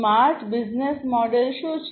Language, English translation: Gujarati, What is the smart business model